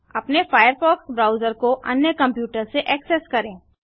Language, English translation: Hindi, Access your firefox browser from another computer